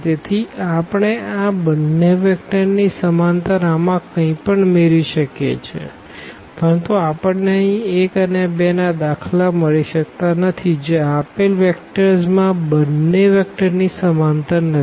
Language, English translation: Gujarati, So, we can get anything in this in this parallel to this these two vectors, but we cannot get for instance here 1 and 2 which is not parallel to these two vectors the given vectors